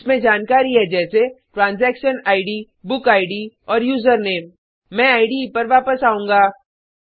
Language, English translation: Hindi, It has details like Transaction Id, User Name, Book Id and Return Date